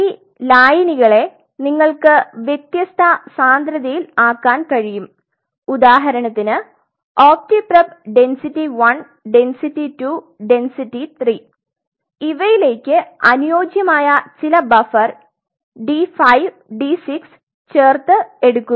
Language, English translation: Malayalam, So, you can make these solutions of different densities say for example, you take opti prep density 1 density 2 density 3 by mixing it with some suitable buffer D 5 D 6